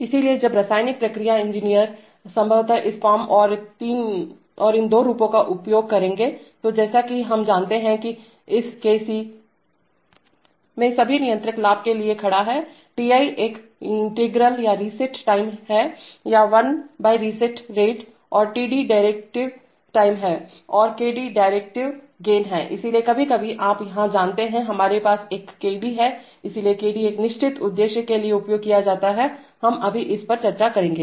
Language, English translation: Hindi, So while chemical process engineers will probably use this form and these two forms, so as we know that in this Kc Kc’ Kc” all stands for controller gain, Ti is integral or reset time or one by reset rate and Td is derivative time and Kd is derivative gain right, so sometimes you know here, we have a, we have a Kd so this Kd is, this Kd is used for a certain purpose, we will discuss it right now